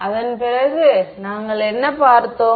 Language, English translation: Tamil, After that what did we look at